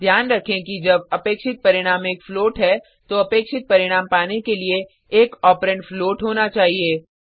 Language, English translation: Hindi, Keep in mind that when the expected result is a float, one of the operands must be a float to get the expected output